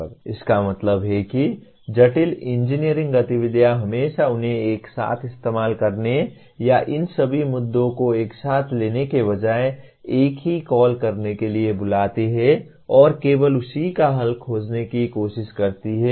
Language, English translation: Hindi, That means complex engineering activities always call for using them together or dealing with all these issues together rather than take one single one and only try to find a solution for that